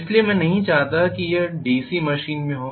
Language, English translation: Hindi, So I do not want this to happen in a DC machine